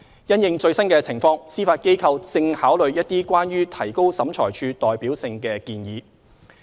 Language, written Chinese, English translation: Cantonese, 因應最新情況，司法機構正考慮一些關於提高審裁處代表性的建議。, In view of the latest developments the Judiciary is now considering various suggestions to enhance the representativeness of OAT